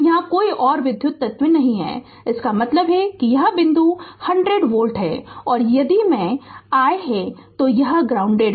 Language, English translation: Hindi, So, no electrical element here means, this point voltage is 100 volt and if I say it is it is grounded